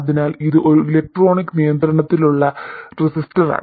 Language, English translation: Malayalam, So, this is an electronically controllable resistor